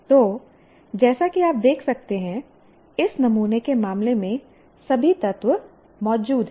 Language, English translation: Hindi, So, as you can see, all the elements are present in the case of this sample